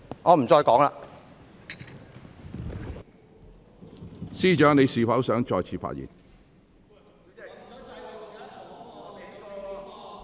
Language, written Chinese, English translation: Cantonese, 律政司司長，你是否想再次發言？, Secretary for Justice do you wish to speak again?